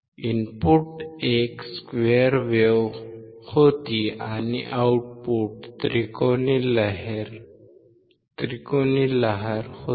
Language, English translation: Marathi, Input was a square wave and the output was a triangular wave